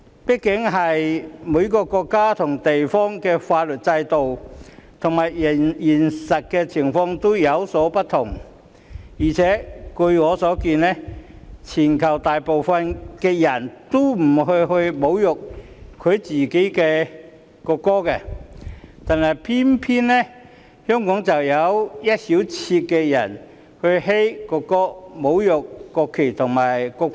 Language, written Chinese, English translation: Cantonese, 畢竟每個國家及地方的法律制度和現實情況均有所不同，而且據我所見，全球大部分的人也不會侮辱自己的國歌，但偏偏香港卻有一小撮人"噓"國歌，侮辱國旗和國徽。, After all every country or place has different legal systems and actual situations . And according to my observations the majority of people in the world will not insult their own national anthems . Yet in Hong Kong a handful of people boo the national anthem and insult the national flag and national emblem